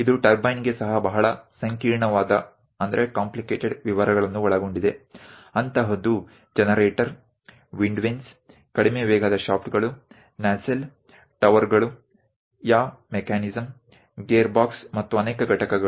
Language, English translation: Kannada, Which contains very complicated details even for the turbine something like a generator, wind vanes, low speed shafts, nacelle, towers, yaw mechanism, gearbox and many units, each unit has to be assembled in a proper way also